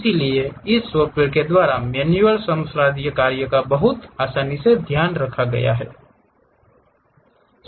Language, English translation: Hindi, So, all that manual laborious task will be very easily taken care by this software